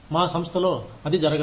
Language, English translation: Telugu, That does not happen in my organization